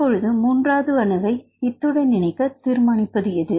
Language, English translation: Tamil, So, what determines the position of this third atom